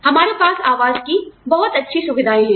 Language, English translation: Hindi, We have very nice housing facilities